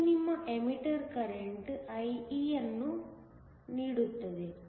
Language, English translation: Kannada, This gives you your emitter current IE